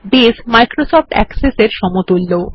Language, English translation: Bengali, Base is the equivalent of Microsoft Access